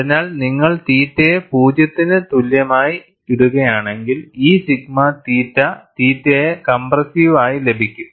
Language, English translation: Malayalam, So, if you put theta equal to 0, you get this sigma theta theta as compressive